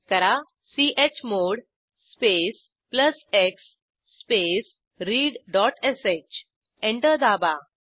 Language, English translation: Marathi, Come back to our terminal Type chmod space plus x space read.sh press Enter